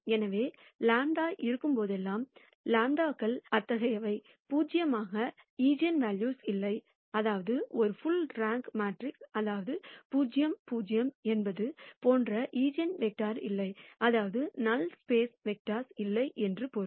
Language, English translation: Tamil, So, whenever lambda is; lambdas are such that, there are there is no eigenvalue that is zero; that means, a is full rank matrix; that means, there is no eigenvector such that a nu is 0 which basically means that there are no vectors in the null space